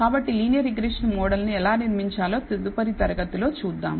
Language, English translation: Telugu, So, see you next class about how to build the linear regression model